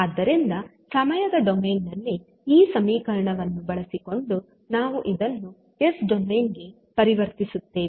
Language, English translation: Kannada, So, using the equation in time domain we will transform this into s domain